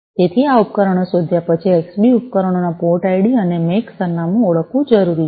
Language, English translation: Gujarati, So, after discovering that this devices, it is required to identify the port id and the MAC address of the Xbee devices